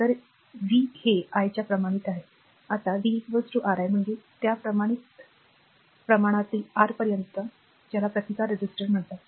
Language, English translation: Marathi, So, v is proportional to i, now v is equal to Ri that constant of proportional take to R that is called resistance